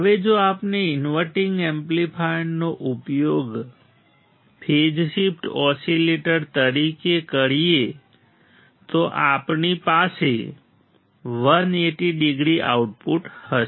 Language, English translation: Gujarati, Now, if we use inverting amplifier as phase shift oscillator we had 180 degree output